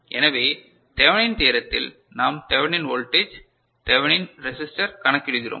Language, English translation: Tamil, So, in Thevenin’s theorem, we calculate Thevenin’s voltage and Thevenin’s resistance right